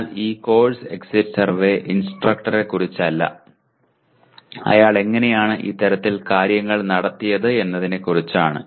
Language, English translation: Malayalam, But this course exit survey is not about the instructor, how he conducted that kind of thing